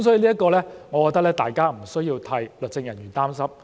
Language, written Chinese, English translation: Cantonese, 所以，就此，我認為大家不需要替律政人員擔心。, For this reason as regards this aspect I do not think we need to worry about legal officers